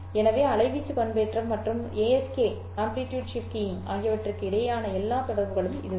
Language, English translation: Tamil, So, that's all the connection between amplitude modulation and ASK